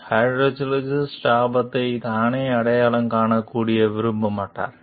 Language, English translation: Tamil, The hydrologist will not even want to recognize the danger herself